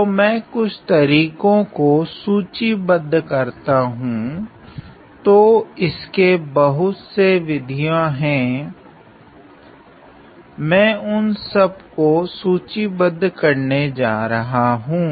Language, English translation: Hindi, So, let me outline several methods; so there are several methods I am going to outline each one of them